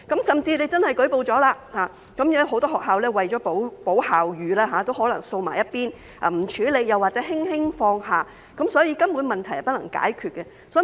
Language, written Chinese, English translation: Cantonese, 即使真的舉報了，很多學校為保校譽也可能會把事件"掃在一邊"，不加處理或輕輕放下，所以問題根本是不能解決的。, Even if they do report the incident many schools may simply sweep it under the carpet take no action or let go unnoticed to protect the reputation of the school . Therefore the problem simply cannot be solved